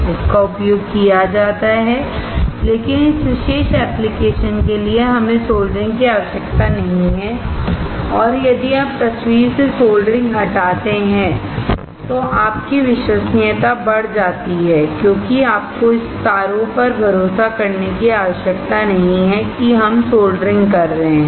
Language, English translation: Hindi, It is used, but for this particular application we do not require soldering at all and if you remove soldering from the picture, then your reliability comes up because you do not have to rely on this wires that we are soldering